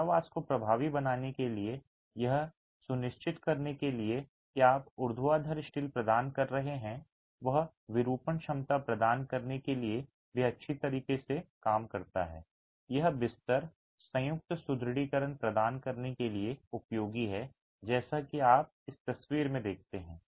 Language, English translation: Hindi, To make the confinement effective and to ensure that the vertical steel that you're providing also works well to provide deformation capacity, it's useful to provide bed joint reinforcement